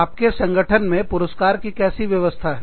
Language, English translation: Hindi, What kind of system of rewards, do you have in your organization